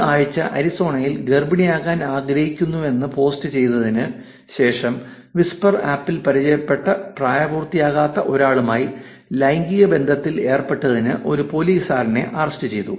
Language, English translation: Malayalam, And this week in Arizona, a cop was arrested for having sex with a minor he met on whisper app after she posted that she wanted to get pregnant